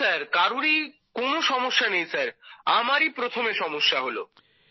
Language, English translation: Bengali, No sir, nobody had sir, this has happened first with me only